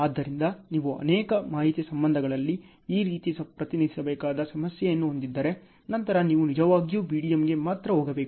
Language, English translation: Kannada, So, if you are having a problem which you have to represent like this in multiple information relationships; then you have to really go for BDM only ok